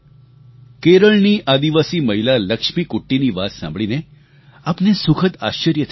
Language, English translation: Gujarati, You will be pleasantly surprised listening to the story of Keralas tribal lady Lakshmikutti